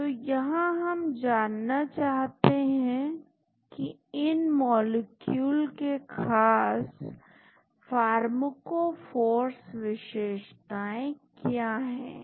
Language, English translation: Hindi, So, we want to find out what are the special pharmacophore features of these molecules